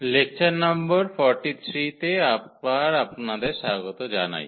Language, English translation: Bengali, So, welcome back and this is lecture number 43